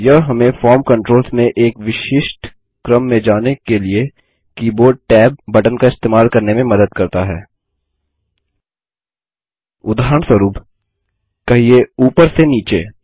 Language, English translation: Hindi, This helps us to use keyboard tab keys to navigate across the form controls in a particular order, Say for example from the top to the bottom